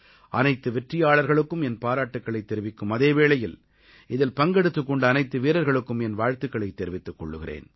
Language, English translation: Tamil, I along with all the winners, congratulate all the participants